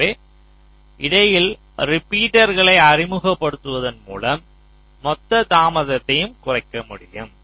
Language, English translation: Tamil, ok, so by introducing repeaters in between, the total delay can be reduced